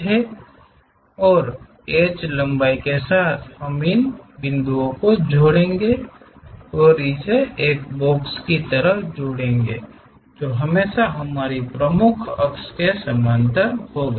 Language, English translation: Hindi, So, with H length we will connect these points and join it like a box, always parallel to our principal axis